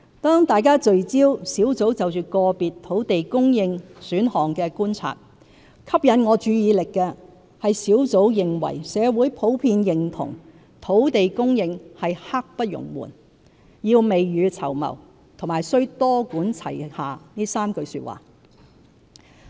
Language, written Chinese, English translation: Cantonese, 當大家聚焦專責小組就個別土地供應選項的觀察，吸引我注意力的是專責小組認為社會普遍認同土地供應是"刻不容緩"、要"未雨綢繆"和須"多管齊下"這3句話。, While public attention has centred on observations in respect of individual land supply options I am attracted to the Task Forces three general observations that the community broadly agrees that land supply is pressing; that we should be prepared for the rainy days; and that a multi - pronged approach should be adopted